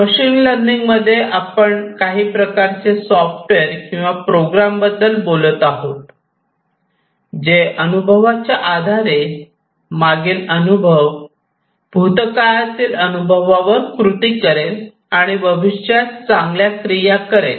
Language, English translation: Marathi, In machine learning, we are talking about some kind of a software or a program, which based on the experience, previous experience, past experience will take actions, better actions in the future